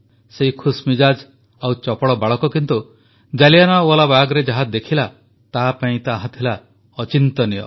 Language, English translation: Odia, A happy and agile boy but what he saw at Jallianwala Bagh was beyond his imagination